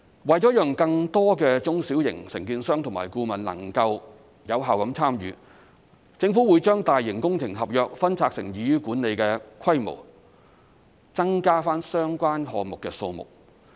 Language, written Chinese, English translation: Cantonese, 為了讓更多中小型承建商和顧問能夠有效參與，政府會把大型工程合約分拆成易於管理的規模，增加相關項目的數目。, To facilitate effective participation of more small and medium contractors the Government will split large public works projects into contracts of manageable scales to increase the number of contracts